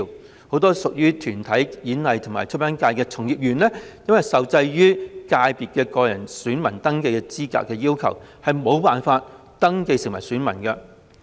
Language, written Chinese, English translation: Cantonese, 此外，很多屬於體育、演藝及出版界的從業員，也受制於界別個人選民登記資格要求，因而無法登記成為選民。, Moreover many practitioners belonging to the Sports Performing Arts and Publication subsectors are subject to the requirement of eligibility for registration as personal electors and are thus illegible to register as electors